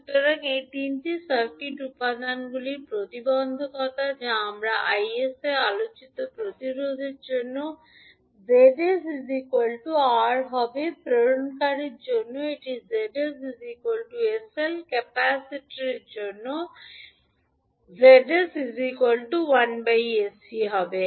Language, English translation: Bengali, So the impedance of these three circuit elements which we discussed will become Zs for the resistance will be only R, for inductive it will be Zs is equals to sL, for capacitor the Zs it would be 1 upon sC